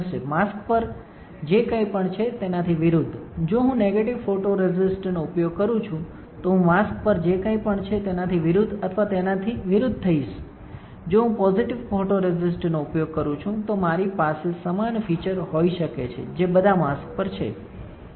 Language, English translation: Gujarati, Opposite of whatever is there on the mask, if I use negative photoresist, I will get opposite of or reverse of whatever there is there on the mask; if I use positive photoresist I can have a similar features which are there on the mask all right